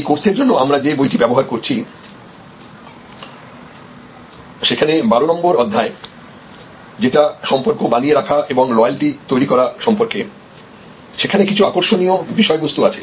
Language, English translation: Bengali, In the text book that we are using for this course there are some interesting insides at chapter number 12, which is the chapter relating to managing relationship and building loyalty